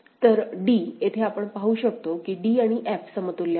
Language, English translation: Marathi, So, d here, we can see that d and f are equivalent